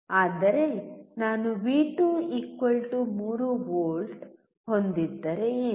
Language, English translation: Kannada, But what if I have V2=3V